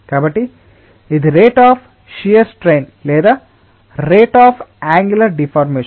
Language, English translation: Telugu, so this is rate of shear strength or rate of angular deformation